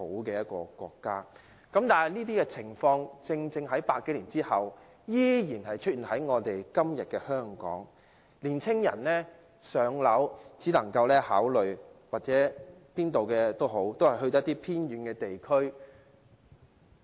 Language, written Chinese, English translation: Cantonese, 然而，書中所述的情況正正在100多年之後現今的香港出現，青年人如要"上車"，能夠考慮的只有一些偏遠地區。, However the situation mentioned in this book happened to materialize more than 100 years later in Hong Kong today . Young people can only achieve home ownership by considering some remote areas